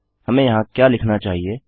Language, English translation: Hindi, What should we write here